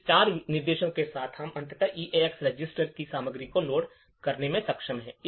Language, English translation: Hindi, So, after these four instructions we are finally been able to load the contents of the EAX register